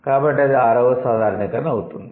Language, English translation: Telugu, What is the sixth generalization